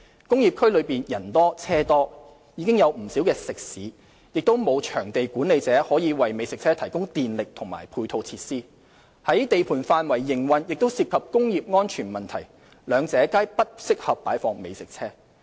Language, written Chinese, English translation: Cantonese, 工業區內人多車多，已有不少食肆，亦沒有場地管理者可以為美食車提供電力和配套設施；在地盤範圍營運亦涉及工業安全問題，兩者皆不適合擺放美食車。, Industrial areas are congested with people and vehicles with many restaurants in operation . Furthermore there is no venue management to provide electricity and supporting facilities to the food trucks . Operating food trucks at construction sites also raises concern on industrial safety